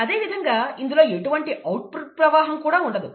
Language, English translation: Telugu, Similarly, there is no output stream